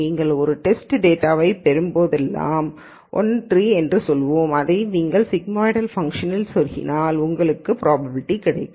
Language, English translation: Tamil, Then whenever you get a test data, let us say 1 3, you plug this into this sigmoidal function and you get a probability